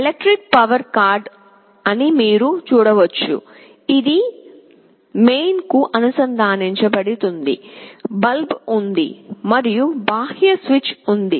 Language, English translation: Telugu, You see there is an electric power cord, which will be connected to the mains, there is the bulb and there is an external switch